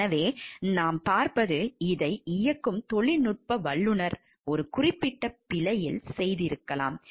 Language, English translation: Tamil, So, what we see is the technician who is operating this may have made in a particular error